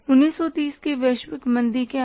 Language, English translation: Hindi, What is that global recession of 1930s